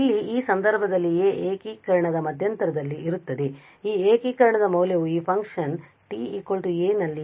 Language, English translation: Kannada, So, here in that case this a will lie in this interval of integration and the value of this integration is going to just the value of this function e power minus s t at t equal to a